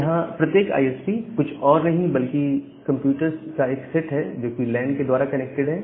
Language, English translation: Hindi, Now all this individual ISPs are nothing but a set of computers which are connected via lan